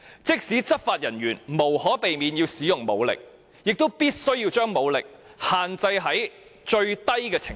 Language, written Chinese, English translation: Cantonese, 即使執法人員無可避免要使用武力，亦必須把武力限制於最低程度。, Even if it is unavoidable for law enforcement officials to use force they must restrict such force to the minimum extent as required